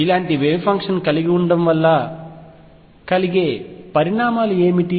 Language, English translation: Telugu, What are the consequences of having a wave function like this